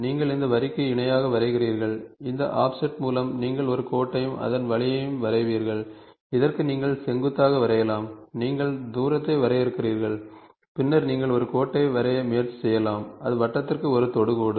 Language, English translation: Tamil, So, you draw a parallel to this line, with an offset of this this also you draw a line and same way, perpendicular to this you can draw, you just define the distance and then you can also try to draw a line which is at tangent to the circle